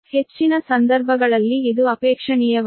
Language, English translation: Kannada, these are available in most cases